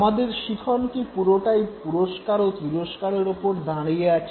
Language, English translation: Bengali, Is it that our entire learning is based on punishment and reinforcement